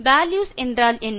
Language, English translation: Tamil, What are values